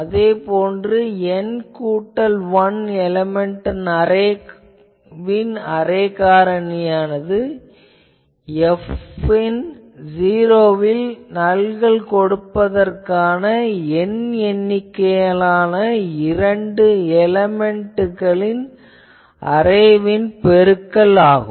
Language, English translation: Tamil, Thus we say that the array factor of an n plus 1 element array is the product of the array factor of capital N number of two element arrays superimposed to produce nulls at the zeroes of F